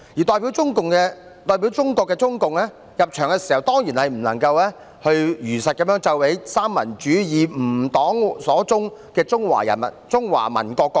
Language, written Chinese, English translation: Cantonese, 代表中國的中共入場時，當然不能如實奏起"三民主義，吾黨所宗"的中華民國國歌。, When CPC that represented China entered the venue the national anthem of the Republic of China which started with San Min Chu - I Our aim shall be could certainly not be played truthfully